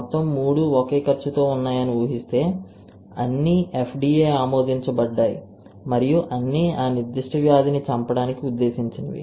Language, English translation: Telugu, All 3 of assuming that they are of the same cost all are FDA approved and all are meant to kill that particular disease, right